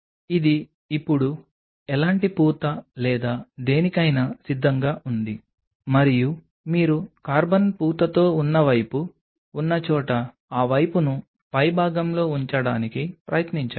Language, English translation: Telugu, This is now all ready for any kind of coating or anything and preferred that wherever you have that carbon coated side try to keep that side on the top so that on that side